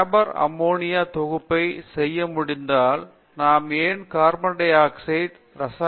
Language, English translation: Tamil, If Haber could do ammonia synthesis, why cannot we do carbon dioxide to chemicals